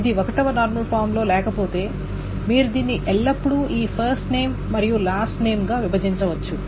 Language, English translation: Telugu, If it is not in first normal form, you can always break it down into this first name and last name etc